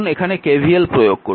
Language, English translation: Bengali, Now we apply KVL in loop 1